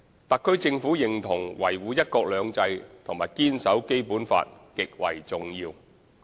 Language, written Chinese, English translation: Cantonese, 特區政府認同維護"一國兩制"和堅守《基本法》極為重要。, The HKSAR Government agrees that upholding one country two systems and safeguarding the Basic Law are of utmost importance